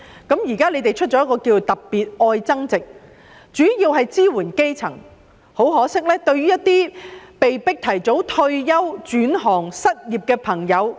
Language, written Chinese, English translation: Cantonese, 政府現時推出"特別.愛增值"計劃，主要支援基層，可惜卻沒有對於被迫提早退休、轉行、失業的人士提供支援。, The Government has so far introduced the Love Upgrading Special Scheme to mainly assist the grass roots but it has regrettably failed to provide any assistance to those who are forced to retire early or switch occupations or who are unemployed